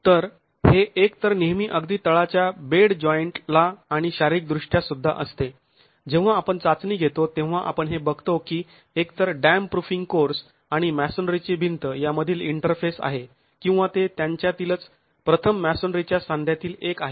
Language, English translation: Marathi, So, this will always be at the bottom most bed joint either and physically also when we do a test, we see that it is either the interface between the dam proofing course and the masonry wall or it's one of the first masonry joins themselves